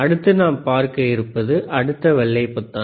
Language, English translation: Tamil, aAnyway,, the next one would be the next white button